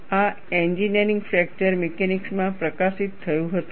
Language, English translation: Gujarati, This was published in Engineering Fracture Mechanics